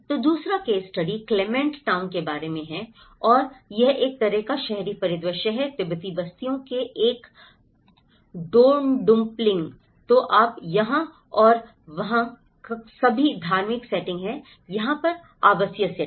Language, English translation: Hindi, So, the second case study is about the Clement town and this is a kind of an urban scenario, is a Dondupling of Tibetan settlements, so you have all the religious setting here and there are residential setting over here